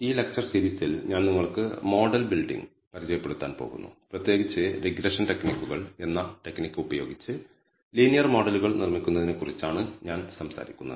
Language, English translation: Malayalam, In this series of lectures I am going to introduce to you model building; in particular I will be talking about building linear models using a techniques called regression techniques